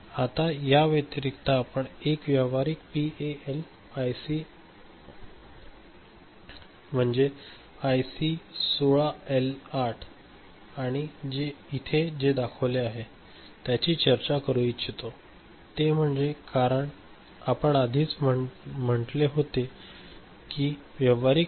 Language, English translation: Marathi, Now, what in addition we would like to discuss here is that, consider one practical PAL IC 16L8 in comparison to what we have shown here right; as we said practical ICs are more complex in nature